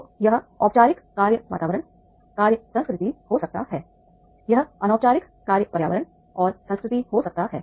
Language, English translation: Hindi, So it can have the formal work environment work culture, it can be informal work environment and culture